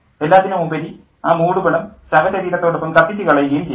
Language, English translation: Malayalam, After all, the shroud burned with the body and then what's left